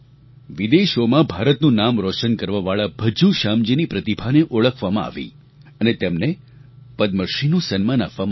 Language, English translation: Gujarati, The talent of Bhajju Shyam ji, who made India proud in many nations abroad, was also recognized and he was awarded the Padma Shri